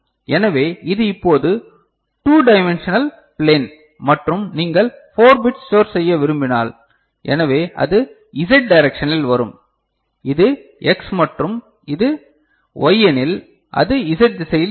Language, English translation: Tamil, So, it is a 2 dimensional plane now and if you want to store 4 bit so, then it will be coming in the z direction, if this is x and this is y, then it is in the z direction